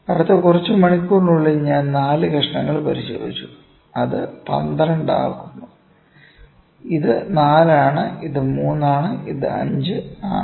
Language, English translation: Malayalam, In the next few hours I inspected 4 pieces that makes it to 12, ok, this is 4, this is 3, this is 5